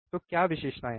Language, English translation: Hindi, So, what are the characteristics